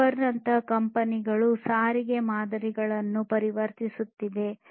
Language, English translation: Kannada, Companies such as Uber are transforming the models of transportation